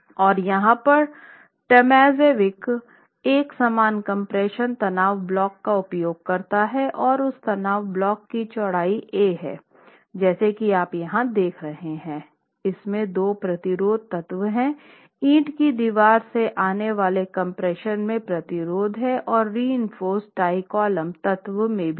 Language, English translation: Hindi, So, Tomazovic here makes use of an equivalent ultimate compression stress block and the width of the stress block A as you are seeing here it has two resisting elements, it has resistance in compression coming from the brick wall, the wall which is unreinforced and the reinforced tie column element